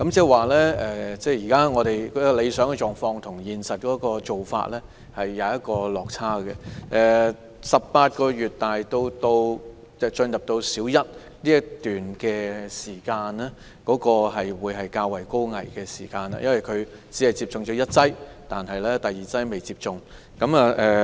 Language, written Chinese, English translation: Cantonese, 換言之，理想情況與現實做法有落差，而幼童由18個月至入讀小一之間這段期間會面對較大風險，因為他們只接種了第一劑疫苗，尚未接種第二劑。, In other words there is a gap between the ideal approach and the actual practice . Children will face greater risks from the age of 18 months to the time they are at Primary One because during this period they have only received the first dose of vaccine and have yet to receive the second dose